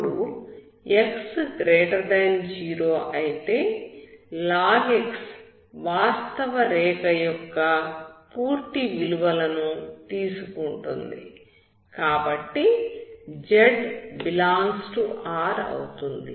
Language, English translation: Telugu, Now if x>0, log x takes the values of full real line, so z ∈ R